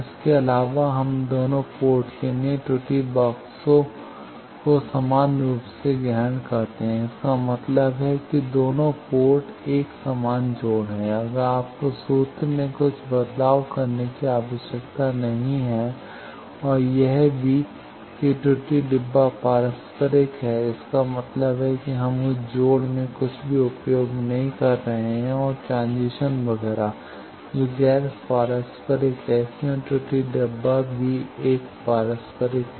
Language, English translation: Hindi, Also we have assume error boxes identical for both ports now that means, the both port there are identical connection, if not you need to change some of the formulation and also error boxes are reciprocal that means, we are not using anything in that connections and transition etcetera which is non reciprocal, so error box also a reciprocal